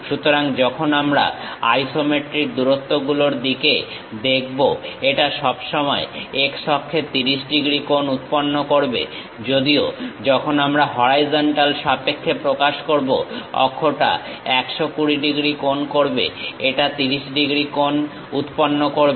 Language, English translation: Bengali, So, when we are looking at isometric lengths, it always makes on this x axis 30 degrees; though axis makes 120 degrees, but when we are measuring with respect to the horizontal, it makes 30 degrees